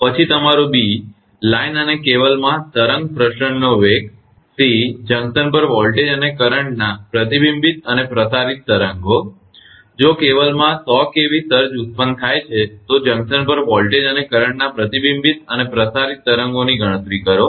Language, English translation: Gujarati, Then your b the velocities of wave propagation in the line and cable, and C the reflected and transmitted waves of voltage and current at the junction right, if the 100 kV surge originate in the cable, calculate the reflected and transmitted waves of voltage and current at the junction